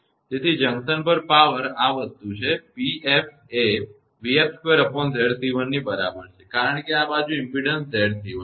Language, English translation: Gujarati, So, at the junction power is this thing; P f is equal to v f square upon Z c 1; because this side impedance is Z c 1